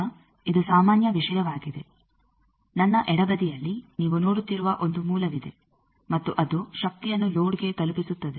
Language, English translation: Kannada, Now, this is the general thing that supposes I have a source, at the left hand side you are seeing and that source is delivering power to the load